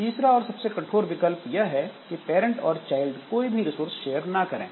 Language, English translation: Hindi, And the third option and the most stringent one is the parent and child share no resources